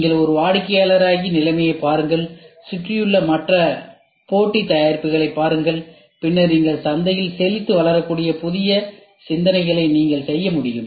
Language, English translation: Tamil, You become a customer, look at the situation, look at the other competitive products around and then you see what new think you can do such that you can flourish into the market